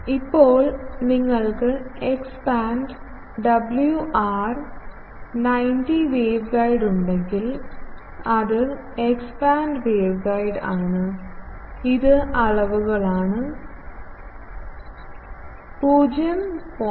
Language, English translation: Malayalam, Now, if, if you have at X band WR90 wave guide it is a X band waveguide, it is dimensions, we know a is 0